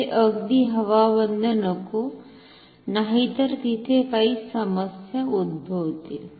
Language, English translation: Marathi, This should not be absolutely airtight then there will be some other problems